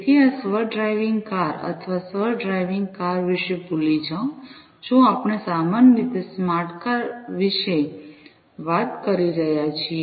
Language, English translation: Gujarati, So, these self driving cars or forget about the self driving cars you know, if we are talking about the smart car,s in general